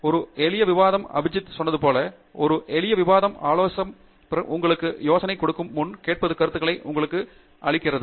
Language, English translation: Tamil, And simple discussion Like Abhijith said, a simple discussion will even before the advisor gives you ideas, just a listening ear will actually give you ideas